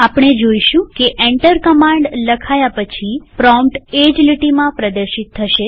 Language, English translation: Gujarati, We will see that the prompt will be displayed after printing Enter a command on the same line